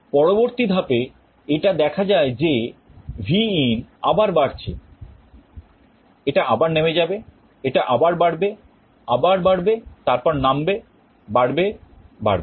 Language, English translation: Bengali, Next step it is seen that again Vin is up again it will go up, again it will go down, again it will go up, again up, down, up, up